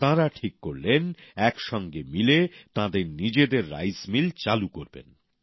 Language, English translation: Bengali, They decided that collectively they would start their own rice mill